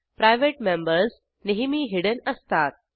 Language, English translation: Marathi, private members are always hidden